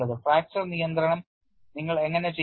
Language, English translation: Malayalam, And how do you do fracture control